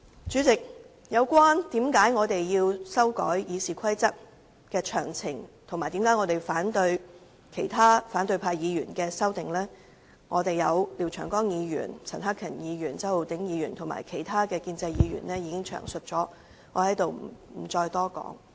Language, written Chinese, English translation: Cantonese, 主席，關於我們修改《議事規則》及反對由反對派議員提出的修訂建議，廖長江議員、陳克勤議員、周浩鼎議員和其他建制派議員已經詳細闡述，所以我也不會多說。, President regarding our amendments to RoP and our opposition to the amendments proposed by opposition Members Mr Martin LIAO Mr CHAN Hak - kan Mr Holden CHOW and other pro - establishment Members have already explained in detail . Therefore I am not going to elaborate